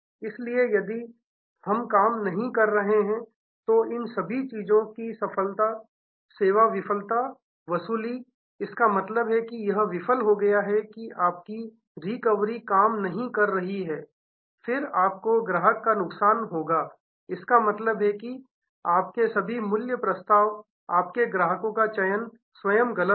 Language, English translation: Hindi, So, service failure and recovery all of these things if we are not worked; that means, it has failed your recovery did not work then you have loss the customer, all your value proposition; that means, your customers selection itself was wrong